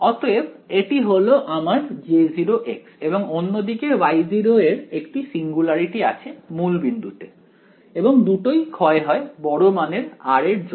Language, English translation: Bengali, So, this is my J 0 of x and on the other hand, my Y 0 actually has a singularity at the origin and both d k for large r ok